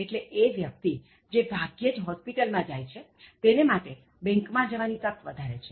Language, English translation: Gujarati, ” So, a person who seldom goes to hospital has enough opportunities to go to his bank